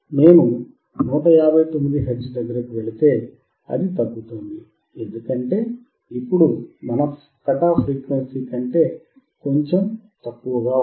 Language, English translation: Telugu, If I go for 159 hertz, it is decreasing, because now this is slightly below our cut off frequency